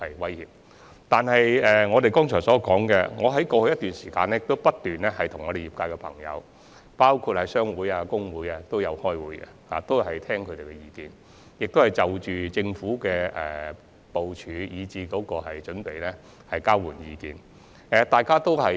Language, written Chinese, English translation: Cantonese, 正如我剛才提到，在過去一段時間，我不斷與業界人士會面，包括商會及工會代表，聽取他們的意見，以及就政府的部署和準備與他們交流意見。, As I mentioned just now during a certain period in the past I have been meeting with members of trades concerned including representatives of trade associations and trade unions to gauge their opinion and exchange views with them on the arrangements and preparation of the Government